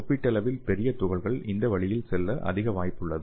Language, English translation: Tamil, And relatively large particles are more likely to take this way